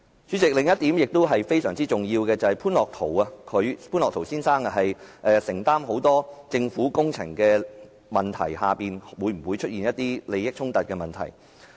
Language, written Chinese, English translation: Cantonese, 主席，另一個非常重要的問題就是，潘樂陶先生承接很多政府工程，當中會否涉及利益衝突。, President there is another very important question . Given that Mr Otto POON has undertaken many government projects is there a conflict of interest?